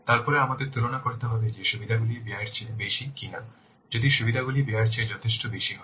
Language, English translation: Bengali, Then we have to compare that whether the benefits they are outweying the cost or not